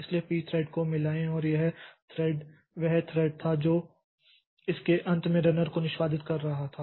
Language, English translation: Hindi, So, p thread join and this this thread where the thread which was executing the runner at the end of it so it executes a p thread exit